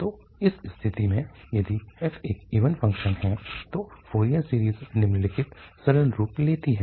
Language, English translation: Hindi, So, in that case, if f is an even function then the Fourier series takes the following simple form